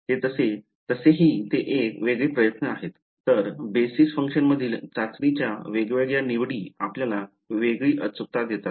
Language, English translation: Marathi, So, it is a onetime effort anyways different choices of the testing in the basis functions give you different accuracy ok